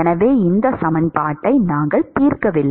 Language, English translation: Tamil, So, this is we have not solved the equation